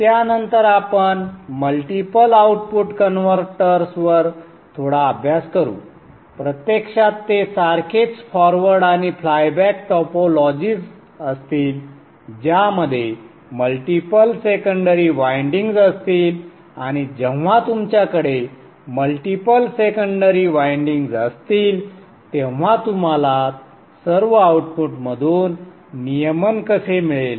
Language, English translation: Marathi, Actually it will be the same forward and the flyback topologies with multiple secondary windings and when you have multiple secondary windings how will you get regulation from all the outputs